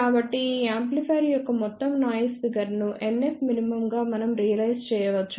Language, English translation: Telugu, So, we can realize overall noise figure of this amplifier as NF min